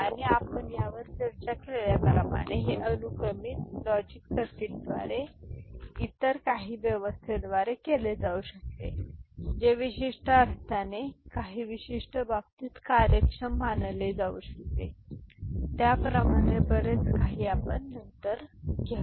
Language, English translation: Marathi, And as we discussed that; it can be done by sequential logic circuit by some other arrangement which in certain sense can be considered efficient in certain context, more of that we shall take up later